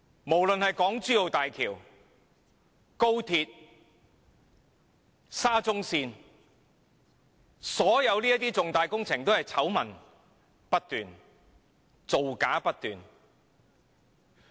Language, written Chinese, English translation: Cantonese, 不論是港珠澳大橋、高鐵以至沙中線，所有重大工程都是醜聞不斷，造假不斷。, All major projects including the Hong Kong - Zhuhai - Macao Bridge the Express Rail Link XRL and SCL are plagued by scandals and falsification